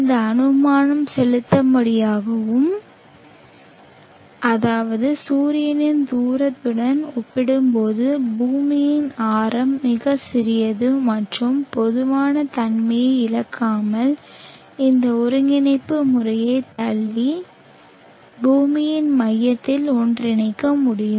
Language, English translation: Tamil, This assumption is valid in the sense that r, the radius of the earth is very small compared to the distance from the sun and without loss of generality we can push this coordinate system and make it merge to the center of the earth